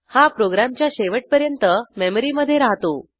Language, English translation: Marathi, It will remain in the memory till the end of the program